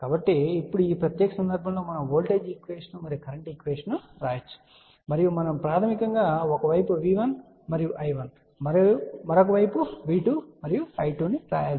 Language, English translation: Telugu, So, now for this particular case we can write the voltage equation and current equation and you have to remember basically that we have to write V 1 and I 1 on one side and V 2 and I 2 on the other side